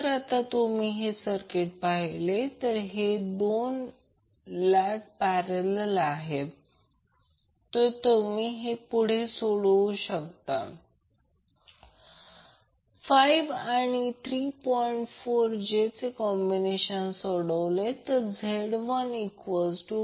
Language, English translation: Marathi, Now if you see the circuit these two legs are in parallel so you can further simplify then The parallel combination of 5 and 3 plus j 4 will be simplified to say Z1